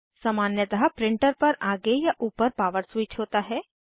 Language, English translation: Hindi, Usually there is a power switch on the front or top part of the printer